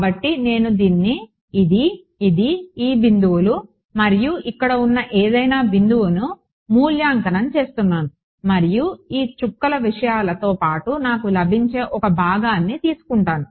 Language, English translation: Telugu, So, I am evaluating at this, this, this, this points and any point over here right and any point along this dotted things who are take the component I get 1